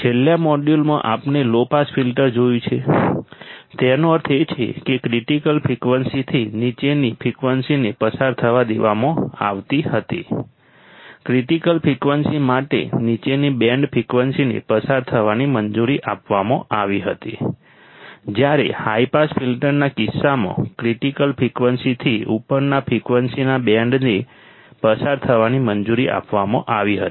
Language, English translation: Gujarati, In the last module, we have seen low pass filter; that means, the frequency below critical frequencies were allowed to pass right, band frequencies below for critical frequencies were allowed to pass while in case of high pass filter the band of frequencies above critical frequencies are allowed to pass